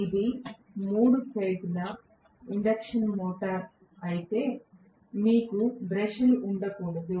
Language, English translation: Telugu, If it is a three phase induction motor, you cannot have brushes